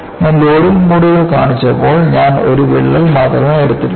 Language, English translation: Malayalam, See, when I had shown the modes of loading, I have taken only one crack